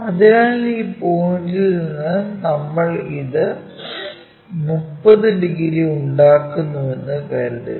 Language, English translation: Malayalam, So, let us assume this is the point from that point we will make it 30 degrees